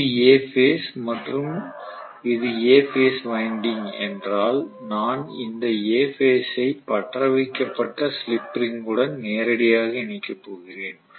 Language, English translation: Tamil, So this is let us say for A phase, so may be this is A phase winding and I am going to connect this A phase directly to the A phase slip ring brazed or welded